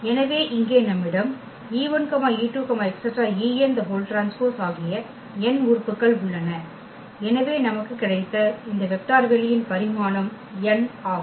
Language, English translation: Tamil, So, here we have e 1 e 2 e n there are n elements and we got therefore, this dimension here of this vector space is n